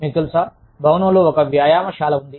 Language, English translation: Telugu, You know, in the building, there is a gym